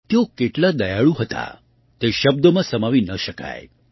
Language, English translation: Gujarati, The magnitude of her kindness cannot be summed up in words